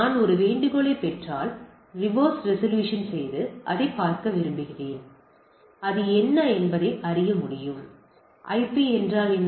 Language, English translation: Tamil, I may want to know that if I get a request of I want to do a reverse resolution and see that; what is the IP of the thing